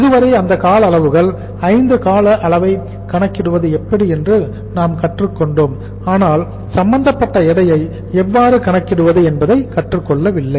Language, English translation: Tamil, So, so far we have learnt how to calculate those durations, 5 durations but we have not learnt how to calculate the their respective weights